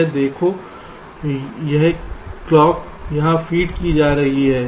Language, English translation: Hindi, see this: this clock is being fed here